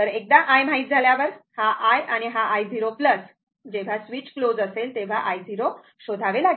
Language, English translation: Marathi, Once i is known, then this i this is the i 0 plus, we have to find out at that time just when switch is just closed i 0